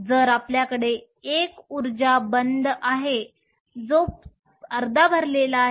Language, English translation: Marathi, So, You have an energy band that is half full